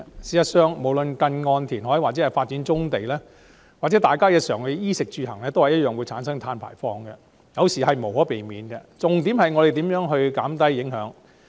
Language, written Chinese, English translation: Cantonese, 事實上，無論是近岸填海或發展棕地，還是日常的衣、食、住、行，都會產生碳排放，這是無可避免的，我們該着重如何減低影響。, In fact carbon emission is inevitable be it near - shore reclamation development of brownfield sites or in areas of clothing food housing and transport . We should focus on minimizing the impact